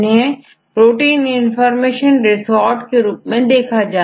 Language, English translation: Hindi, Essentially, this is the integrated protein information resource